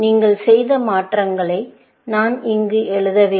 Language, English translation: Tamil, the transformations that you have done, which I have not written here